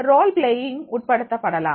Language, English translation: Tamil, Incorporate role playing